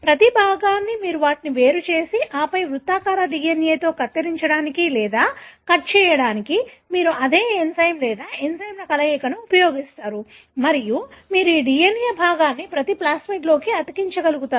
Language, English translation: Telugu, Each piece you separate them and then you use the same enzyme or a combination of enzymes to cut or to make a cut in the circular DNA and you are able to stick this DNA piece into each one of the plasmids